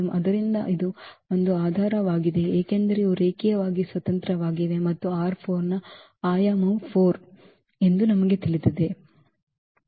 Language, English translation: Kannada, So, this forms a basis because these are linearly independent and we know that the dimension of R 4 is 4